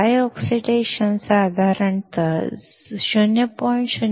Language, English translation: Marathi, Dry oxide is about 0